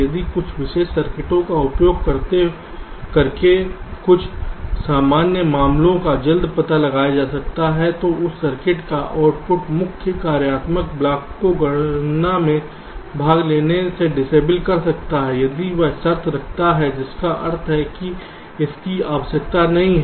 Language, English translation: Hindi, if some of the common cases can be detected early by using some special circuits, then the output of that circuit can disable the main functional block from participating in the calculation if that condition holds, which means it is not required